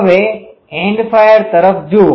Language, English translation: Gujarati, Now, look at an End fire